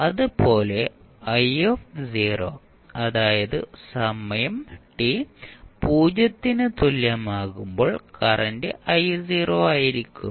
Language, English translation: Malayalam, Similarly, i0 that is I at time t is equal to 0 will be I not